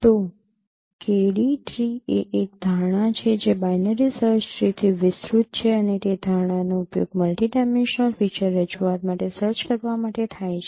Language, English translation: Gujarati, So, KD tree is a is the concept which is extended from binary search tree and that concept is used for searching over a multidimensional feature representation